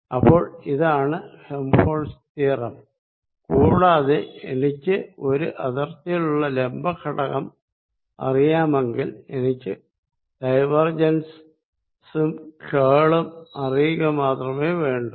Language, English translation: Malayalam, So, let us this is Helmholtz's theorem and if I know the perpendicular component on the boundary, then I need to know only curl and the divergence